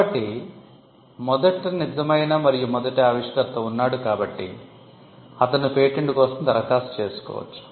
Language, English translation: Telugu, So, first you have the true and first inventor; can apply for a patent